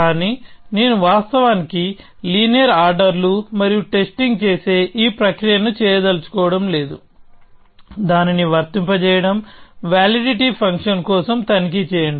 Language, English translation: Telugu, But I do not want to actually do this process of making linear orders and testing, applying that, check for validity function